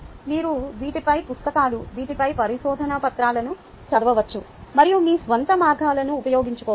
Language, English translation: Telugu, you could read books on these, papers on these, and employ your own means